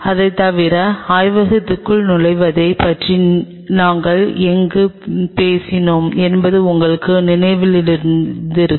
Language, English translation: Tamil, And apart from it if you remember where we talked about entering into inside the lab